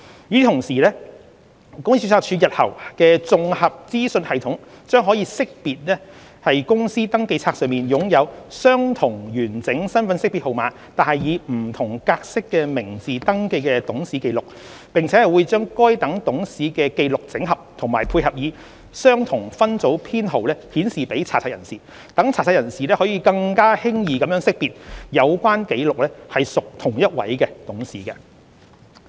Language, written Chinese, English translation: Cantonese, 與此同時，公司註冊處日後的綜合資訊系統將可識別於公司登記冊上擁有相同完整身份識別號碼但以不同格式的名字登記的董事紀錄，並會將該等董事的紀錄整合及配以相同分組編號顯示給查冊人士，讓查冊人士可更輕易地識別有關紀錄屬同一董事。, Meanwhile the future Integrated Companies Registry Information System will be able to identify the records of directors having the same full IDNs but with different formats of names kept on the Companies Register and will group these matched records for display by assigning the same group number to them for searchers to identify records of the same director more easily